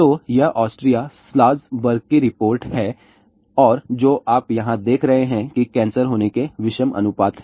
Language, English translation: Hindi, So, this is Austria, Salzburg report and what you see over here odd ratio of getting cancer